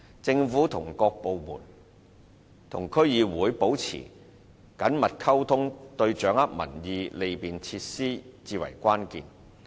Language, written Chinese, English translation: Cantonese, 政府各部門與區議會保持緊密溝通，對掌握民意和利便施政至為關鍵。, Maintaining close communication with DCs is vital to various government departments in gauging public opinions and facilitating administration